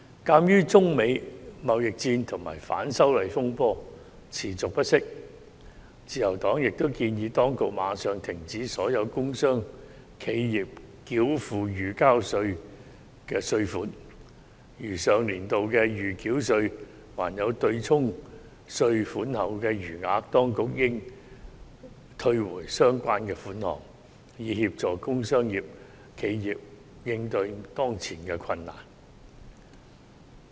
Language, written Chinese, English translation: Cantonese, 鑒於中美貿易戰及反修例風波持續不息，自由黨亦建議當局立即暫停所有工商企業繳付預繳稅，如上年度的預繳稅對沖稅款後還有餘額，當局應退回相關款項，以協助工商企業應對當前的困難。, In view of the China - United States trade war and the persisting turmoil arising from the anti - extradition bill movement the Liberal Party also suggested the Administration to suspend payment of provisional tax for all industrial and commercial enterprises immediately . If there is a balance of provisional tax from last year after settling tax payment the Administration should return it to the relevant industrial and commercial enterprises so as to help them cope with their present difficulties